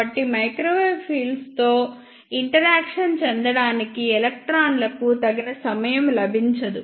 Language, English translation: Telugu, So, electrons do not get sufficient time to interact with the microwave fields